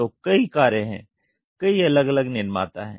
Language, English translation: Hindi, So, there are several cars, several different manufacturers